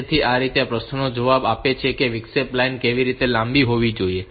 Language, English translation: Gujarati, So, this way with this answers the question that how long must the interrupt line remain high